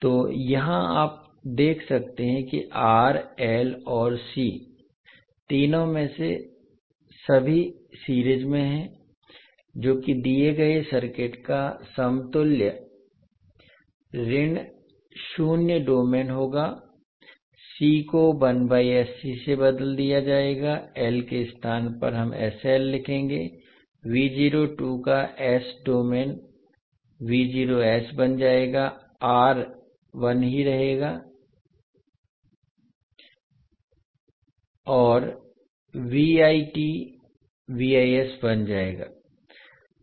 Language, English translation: Hindi, So here you see that R, L and C, both all all of 3 are in series, that is equivalent s minus domain of the given circuit would be; C will be replaced by 1 by sC and in place of L we will write SL